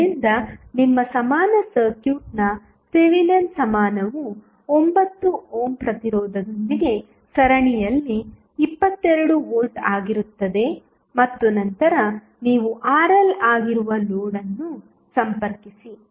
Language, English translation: Kannada, So, your equivalent, Thevenin equivalent of the circuit would be the 22 volt in series with 9 ohm resistance and then you have connected and unknown the load that is Rl